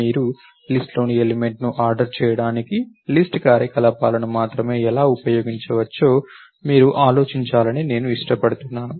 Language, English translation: Telugu, And also I like you to think of how can you use only the list operations to order the elements in the list